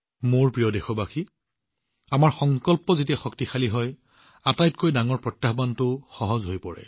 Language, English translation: Assamese, My dear countrymen, when the power of our resolve is strong, even the biggest challenge becomes easy